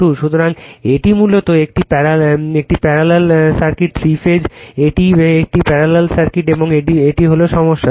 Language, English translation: Bengali, So, it is a basically parallel parallel, circuit right, three phase it is a parallel circuit and this is the your problem